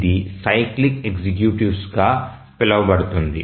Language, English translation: Telugu, It goes by the name cyclic executives